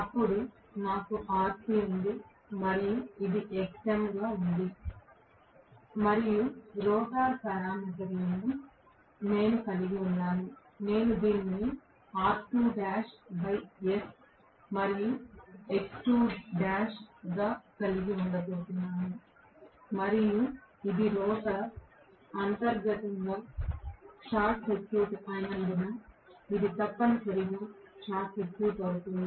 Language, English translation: Telugu, Then, I have rc and this is going to be xm and what I have as the rotor parameters, I am going to have this as r2 dash by s and x2 dash and this is going to be essentially short circuited because the rotor is inherently short circuited